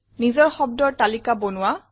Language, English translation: Assamese, Create your own list of words